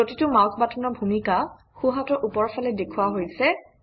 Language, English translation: Assamese, The role of each mouse button is shown on the top right hand side